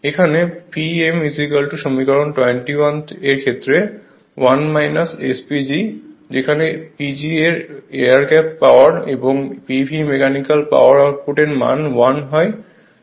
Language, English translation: Bengali, Here P m is equal to equation 21 1 minus S P G, P G is the air gap power and p v is the mechanical power output that is 1 minus S P G